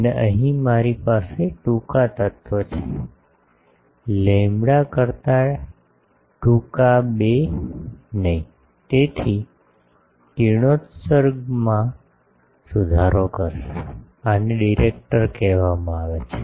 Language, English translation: Gujarati, And here I have a shorter element, shorter than lambda not by 2, so this one will improve the radiation, these are called directors